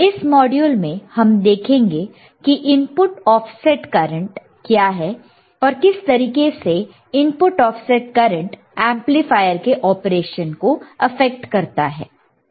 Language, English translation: Hindi, This module we will see what exactly is an input, offset current and how does input offset current effects the amplifier operation right